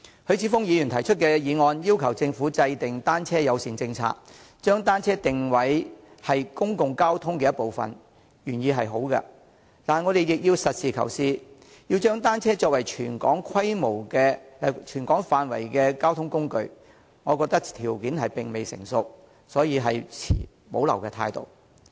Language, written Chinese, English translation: Cantonese, 許智峯議員提出的議案要求政府制訂單車友善政策，將單車定位為公共交通的一部分，原意是好的，但我們亦要實事求是，若要將單車作為涵蓋全港範圍的交通工具，我覺得條件並未成熟，所以持保留態度。, The motion proposed by Mr HUI Chi - fung requests the Government to formulate a bicycle - friendly policy and position bicycles as part of the public transport . It is well - intentioned but we have also got to be pragmatic . In my view the conditions are still not ripe for designating bicycles as a mode of transport covering the whole territory